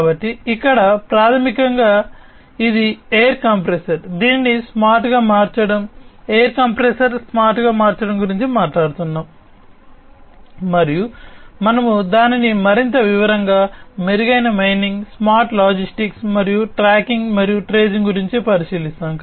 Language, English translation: Telugu, So, here basically it is a air compressor that we are talking about making it smart, making a air compressor smart and so on so, we will look at it in further more detail, improved mining, smart logistics, and tracking and tracing